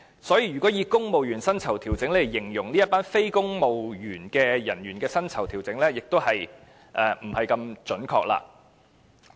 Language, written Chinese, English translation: Cantonese, 所以，如果以"公務員薪酬調整"來形容這群非公務員人員的薪酬調整，是有點不準確。, Therefore it is somewhat inaccurate to use civil service pay adjustment to describe the pay adjustment of such non - civil service staff